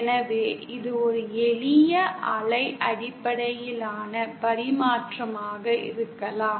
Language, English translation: Tamil, So it can be a simple wave based transmission